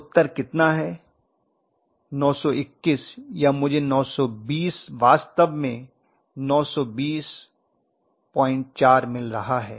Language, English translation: Hindi, Yes, Answer is how much, 920 I was getting it to be 920 yeah 921 or something I was getting 920 in fact just 920